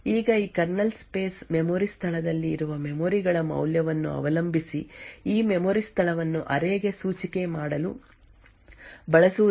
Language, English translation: Kannada, Now depending on the value of the memories present in this kernel space memory location since this memory location is used to index into the array the indexed location may access one of these multiple sets